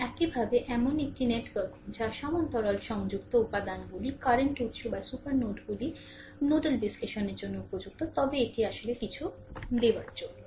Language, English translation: Bengali, And similarly, a network that contains parallel connected elements, current sources or super nodes are suitable for nodal analysis right, but this is actually something we are giving